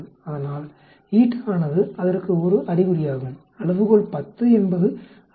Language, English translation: Tamil, So eta is an indication of that, a scale of 10 indicates that 63